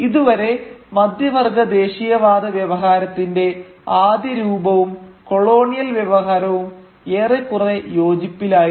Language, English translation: Malayalam, So far the early form of a middle class nationalist discourse and the colonial discourse was more or less in agreement